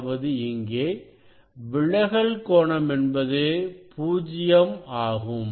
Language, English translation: Tamil, refracted angle also will be 0